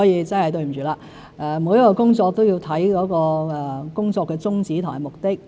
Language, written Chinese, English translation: Cantonese, 真的對不起，每一項工作都要看其宗旨和目的。, I am really sorry . Every initiative has its objectives and purposes